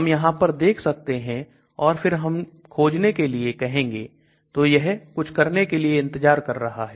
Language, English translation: Hindi, So we can look at this and then we can say search, so it is waiting, so it is doing something